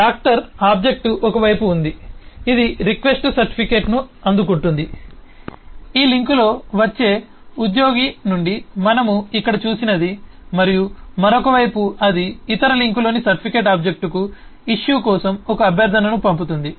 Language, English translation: Telugu, the doctor object is on one side it receives the request certificate, the one that we say here, from the employee which comes on this link, and on the other side it will send a request for issue to the certificate object on the other link